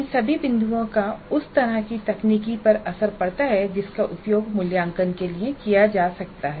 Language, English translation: Hindi, Now all these points do have a bearing on the kind of technology that can be used for assessment and evaluation